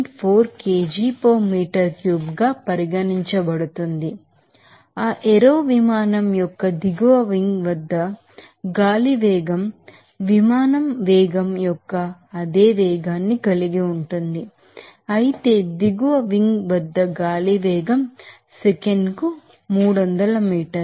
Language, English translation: Telugu, 4 kg per meter cube the air velocity at under side wing here of that aero plane has the same velocity of the aeroplane velocity whereas, the air velocity at the underside wing is 300 meter per second